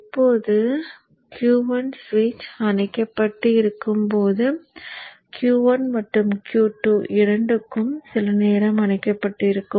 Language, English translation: Tamil, Now when the switch Q1 is off, let us say for this for some time both Q1 and Q2 are off